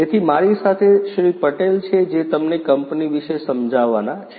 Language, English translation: Gujarati, Patel who is going to explain to you about the company